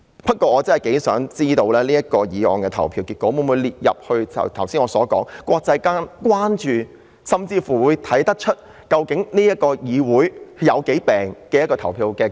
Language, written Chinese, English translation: Cantonese, 不過，我真的想知道這項議案的投票結果會否成為國際間關注的事情，甚或從中看出這個議會病得有多嚴重。, However I really want to know whether the voting result of this motion will become a matter of international concern or even to see how seriously ill this Council is